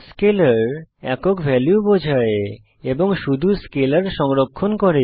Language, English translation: Bengali, Scalar represents a single value and can store scalars only